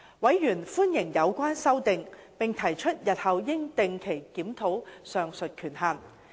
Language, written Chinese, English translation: Cantonese, 委員歡迎有關修訂，並提出日後應定期檢討上述權限。, Members welcomed the relevant amendments and expressed that the limits should be reviewed regularly in future